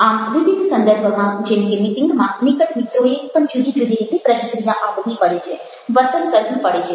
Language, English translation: Gujarati, so in various context, even intimate friends have to react, behave in different ways